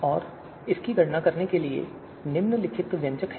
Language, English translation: Hindi, And this is the expression to compute it